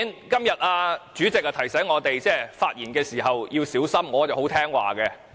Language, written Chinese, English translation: Cantonese, 今天主席提醒我們在發言時要小心，我是很聽話的。, This is white terror . Today the President reminded us to speak with care and I am very obedient